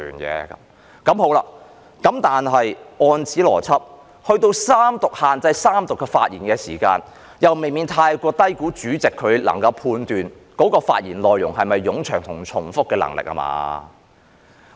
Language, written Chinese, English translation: Cantonese, 但是，按此邏輯，到了法案三讀，給予主席限制議員在三讀的發言時限，又未免太過低估主席判斷議員的發言內容是否冗長和重複的能力了吧？, But by this logic in the Third Reading of a bill if the President is empowered to restrict the speaking time of Members this will be underestimating the Presidents ability to judge whether a Members speech is too lengthy or his arguments too repetitive